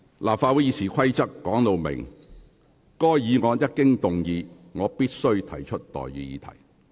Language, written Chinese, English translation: Cantonese, 立法會《議事規則》訂明，該議案一經動議，主席隨即須提出待議議題。, RoP of the Legislative Council provide that once the motion is moved the President shall forthwith propose the question thereon